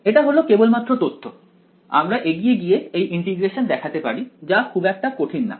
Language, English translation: Bengali, This is just information we can we can actually go and show this integration its not very difficult ok